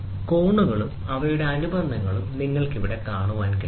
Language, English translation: Malayalam, So, the angles and their supplements, you can see here